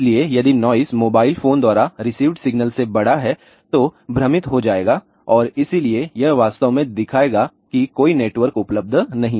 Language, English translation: Hindi, So, if the noise is larger than the signal received by the mobile phone will get confused and hence it will actually show that there is a no network available